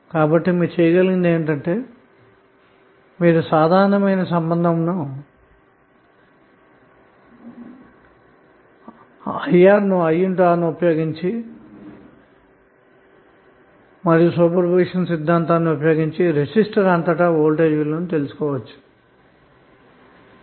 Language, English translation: Telugu, So what you can do you can use simple relationship is IR and using super position theorem you can find out the value of voltage across resistor using super position theorem